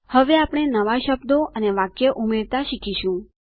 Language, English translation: Gujarati, We will now learn to add new words and sentences